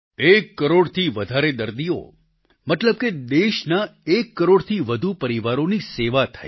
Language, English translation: Gujarati, More than one crore patients implies that more than one crore families of our country have been served